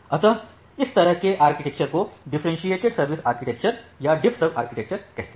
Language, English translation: Hindi, So, this kind of architecture we call it as a differentiated service architecture or DiffServ architecture